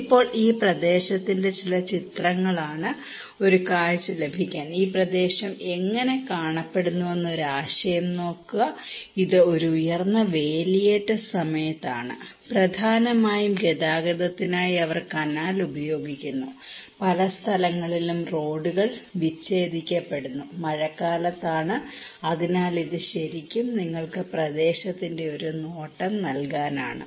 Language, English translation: Malayalam, Now, these are some of the pictures of the area to get a glimpse; get an idea that how this area looks like, this is during high tide, and they have use canal for transportations mainly, many places the roads are disconnected and during the rainy season, so this is really to give you a glance of the area